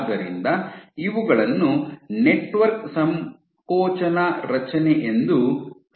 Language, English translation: Kannada, So, these are referred to as a network contraction array